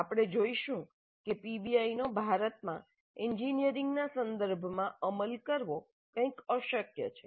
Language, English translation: Gujarati, We will see that the PBI is somewhat inefficient to implement in the engineering context in India